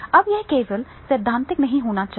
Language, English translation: Hindi, Now, it should not be only theoretical